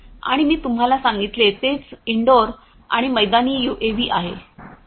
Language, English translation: Marathi, And also I what I told you is indoor and outdoor UAVs